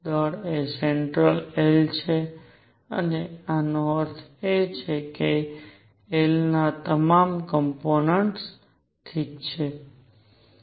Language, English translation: Gujarati, The force is central L is conserved and this means all components of L are conserved alright